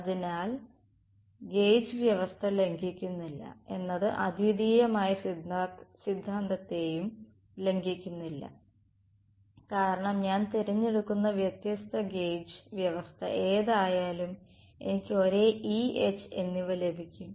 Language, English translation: Malayalam, So, the gauge condition is not violating the is not violating the uniqueness theorem, because whatever different gauge condition I will choose I get the same E and H